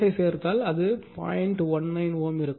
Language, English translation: Tamil, 19 ohm, right